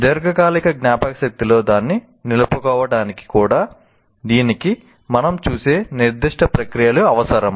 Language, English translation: Telugu, Even to retain it in the long term memory require certain processes and that's what we will look at it